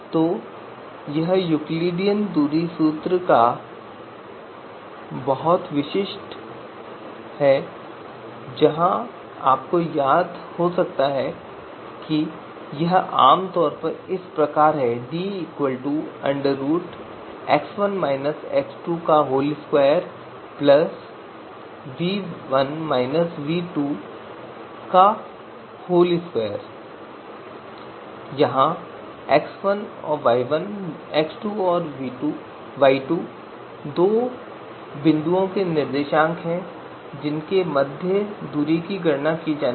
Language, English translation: Hindi, So this is very typical of you know Euclidean distance formula where you might remember that it is typically you know x1 you know x1 minus x2 is square plus y1 minus y2 square and a square root of all this